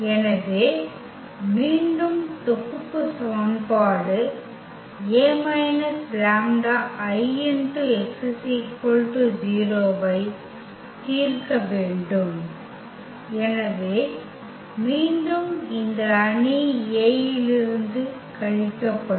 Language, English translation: Tamil, So, again we have to solve the system of equation a minus lambda I x is equal to 0 this time and then, so again this lambda will be subtracted from this matrix A